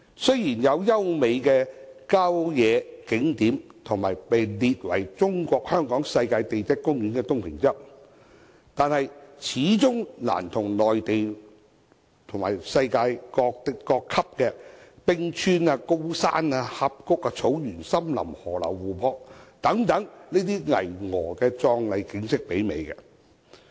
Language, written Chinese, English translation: Cantonese, 雖然香港有優美的郊野景點，以及獲列為中國香港世界地質公園的東平洲，但始終難以媲美內地和世界級的冰川、高山、峽谷、草原、森林、河流和湖泊等巍峨壯麗景色。, Although Hong Kong has beautiful rural scenic spots and Tung Ping Chau listed as the Hong Kong Global Geopark of China they pale in comparison with the majestic splendour of world - class glaciers mountains valleys grasslands forests rivers and lakes in the Mainland and other countries